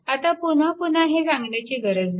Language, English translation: Marathi, Now, no need to repeat again and again